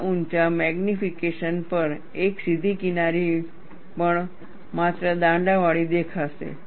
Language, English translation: Gujarati, At such high magnification, even a straight edge would appear jagged only